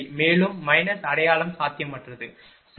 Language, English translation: Tamil, Also minus sign is there in feasible, right